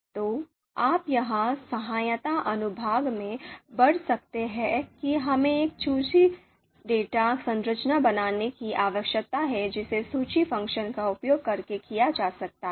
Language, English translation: Hindi, So you can read here in the help section that we need to assign, we need to create a list data structure so that can be done using the list function just like here just like what we have done here